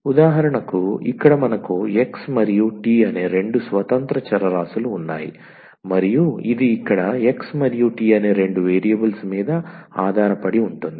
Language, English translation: Telugu, So, for instance here we have two independent variables the x and t and this we depends on two variables here x and t